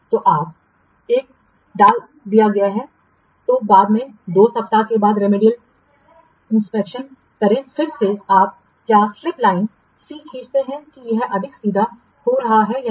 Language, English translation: Hindi, Then after take the remedial action, say after two weeks, another again you draw the what slip line, see whether this is becoming more straight or not